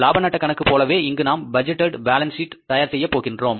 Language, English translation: Tamil, So like the profit and loss account, here we are preparing the budgeted balance sheet